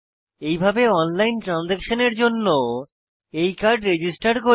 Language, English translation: Bengali, To register this card for online transaction